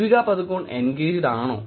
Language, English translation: Malayalam, Is Deepika Padukone engaged